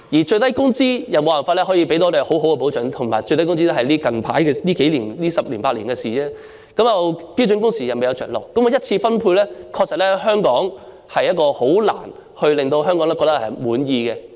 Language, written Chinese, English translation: Cantonese, 最低工資亦沒有辦法可以為我們提供保障，而且最低工資只是最近十年八年的事，加上標準工時亦未有着落，香港的一次分配確實很難令香港人感到滿意。, Even the minimum wage cannot provide protection for us not to mention that the minimum wage only came into existence 8 or 10 years ago . Coupled with the fact that the standard working hours have yet to be implemented it is indeed difficult for the primary distribution in Hong Kong to be satisfactory to Hongkongers